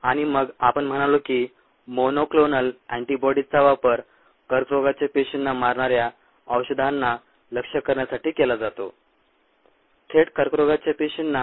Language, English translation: Marathi, and then we said that monoclonal antibodies are used to target the drugs that kill cancerous cells more directly to the cancer cells